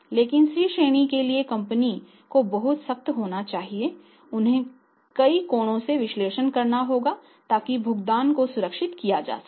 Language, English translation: Hindi, And if C category then in that case the company has very, very strict and they have to analyse that firm any angle so that the payments secure